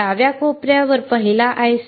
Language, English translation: Marathi, The first IC on the left corner